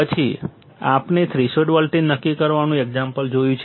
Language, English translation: Gujarati, Then we have seen an example of determining the threshold voltage